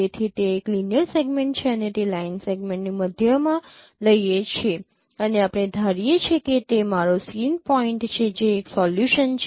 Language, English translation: Gujarati, So that's a linear segment and take the middle of that line segment and we will consider that is my same point